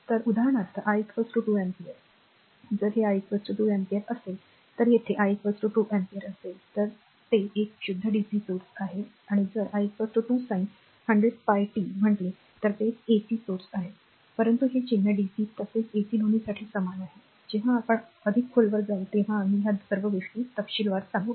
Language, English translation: Marathi, So, example i is equal to 2 ampere, if it is i is equal to 2 ampere say if i is equal to 2 ampere here right then it is a pure dc source and if i is equal to say 2 sin 100 pi pi t then it is an ac current source, but this symbol this symbol is same for both dc as well as ac, when we will go much deeper we will know all this things in detail right